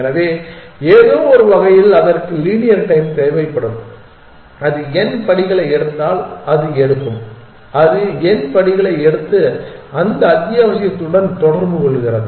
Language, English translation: Tamil, So, in some sense it will require linear time that it will take a if it takes n steps, it just about takes the n steps and communicates with that essential